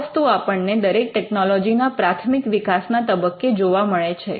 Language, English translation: Gujarati, So, we see this in all technologies during the early stage of their life